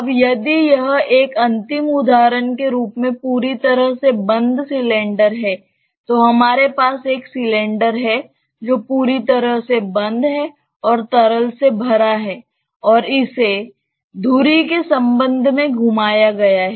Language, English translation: Hindi, Now if it is totally closed cylinder as a final example say we have a cylinder that is totally closed and filled up with liquid and rotated with respect to its axis